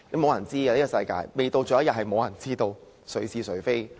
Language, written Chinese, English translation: Cantonese, 世事難料，未到最後一刻，也無人知道誰是誰非......, No one can tell who is right or wrong until the last minute Deputy President I so submit